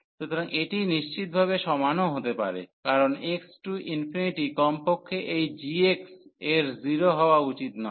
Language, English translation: Bengali, So, it can be strictly equal also because that x approaches to infinity at least this g x should not be 0